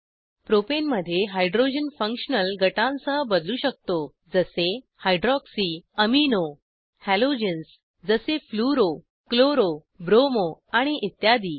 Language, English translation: Marathi, We can substitute hydrogens in the Propane with functional groups like: hydroxy, amino, halogens like fluro, chloro, bromo and others